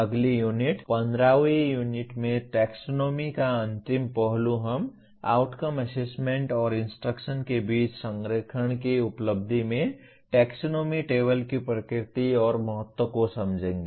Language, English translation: Hindi, The final aspect of taxonomy in next Unit, 15th Unit we understand the nature and importance of taxonomy table in achievement of alignment among outcomes, assessment, and instruction